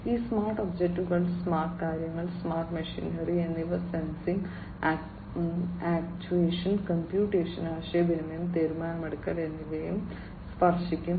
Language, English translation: Malayalam, So, these smart objects, the smart things, the smart machinery will be touched with sensing, actuation, computation, communication, decision making and so on